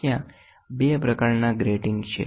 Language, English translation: Gujarati, There are 2 types of grating